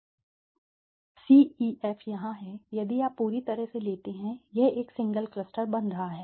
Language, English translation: Hindi, C, E, F is here if you take totally this becoming a single cluster, right